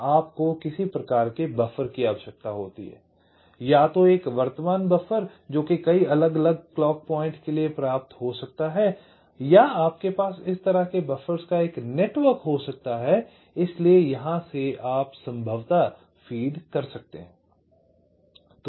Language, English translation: Hindi, so you need some kind of a buffer, either a current buffer which can be fit to a number of different clock points, or you can have a some kind of a network of buffers like this, so from here you can possibly feed